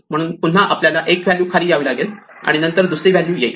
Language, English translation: Marathi, So, again we may have to shift it down one value and then another value